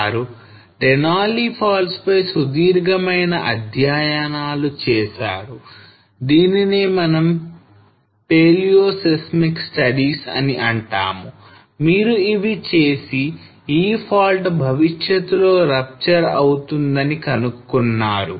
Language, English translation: Telugu, So they did the detail studies on Denali fault that is what we call the paleoseismic studies and they found that this fault will rupture in future